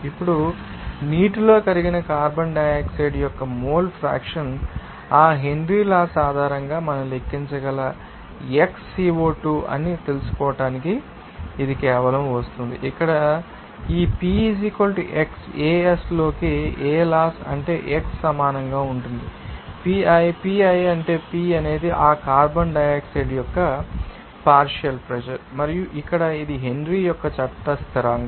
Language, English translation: Telugu, Now, mole fraction of carbon dioxide dissolved in water to first find out that we Xco2 that can be you know calculated based on that Henry's law it will be coming as simply you know that what is the law here this p = x into Ace that means x will be equal to pi, pi is that when p is the partial pressure of that carbon dioxide and here this is Henry's law constant